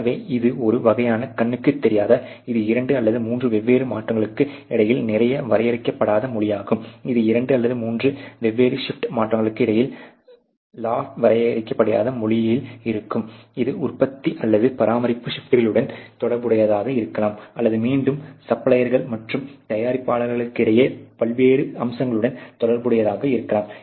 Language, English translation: Tamil, So, it is a sort of a unseen its sort of a lots undefined kind of language between you know 2 or 3 different shifts when they are running it can be related to a shifts of production or maintenance or between again suppliers and producers many different aspects